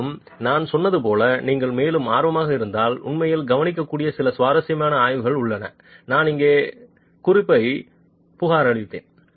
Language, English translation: Tamil, And as I said, there are some interesting studies that you can actually look into if you are further interested